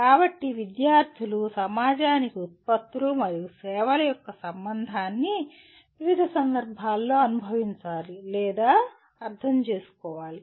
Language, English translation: Telugu, So, the students need to experience or understand the relationship of products and services to people, society in a variety of contexts